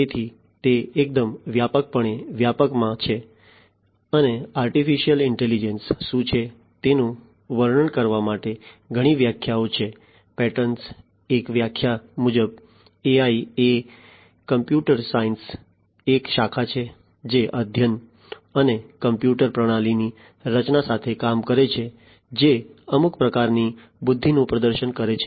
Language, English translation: Gujarati, So, it is quite broadly scoped and there are multiple definitions to describe what artificial intelligence is, as per one of the definitions by Patterson; AI is a branch of computer science that deals with the study and the creation of computer systems that exhibit some form of intelligence